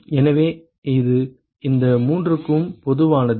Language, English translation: Tamil, So, that is common to all these three